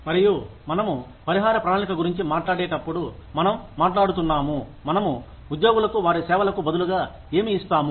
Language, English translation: Telugu, And, when we talk about a compensation plan, we are talking about, what we give to our employees, in return for their services